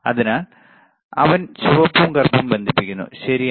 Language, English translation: Malayalam, So, he is connecting the red and black, right